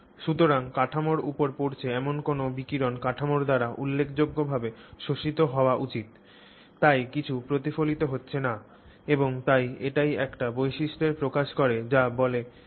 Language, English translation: Bengali, So, any incident radiation that is falling on the structure should get, you know, significantly absorbed by the structure so nothing is getting reflected and therefore it develops characteristics that are stealthy